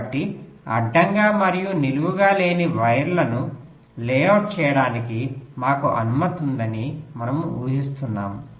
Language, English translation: Telugu, so we are assuming that we are allowed to layout the wires which are non horizontal and vertical, non vertical also